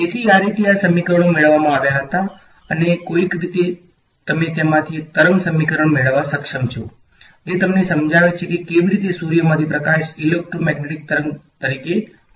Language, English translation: Gujarati, That is how these equations were derived and somehow you are able to get out of it a wave equation which suddenly then explains to you how light from the sun reaches as its coming as a electromagnetic wave